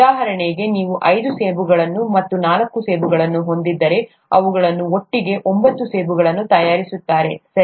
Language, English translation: Kannada, For example, if you have five apples and four apples, together they make nine apples, right